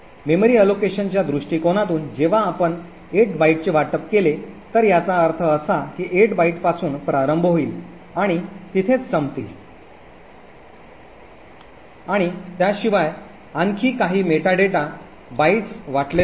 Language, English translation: Marathi, From memory allocation point of view when you allocate 8 bytes it would mean that the 8 bytes starts from here and end over here and besides this there would be some more meta data bytes that gets allocated